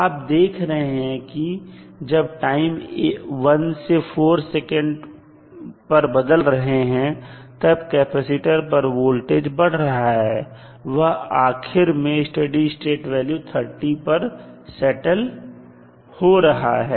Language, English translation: Hindi, You will see when time is changing from 1 to 4 the voltage across capacitor is rising and finally it will settle down to the steady state value that is 30 volts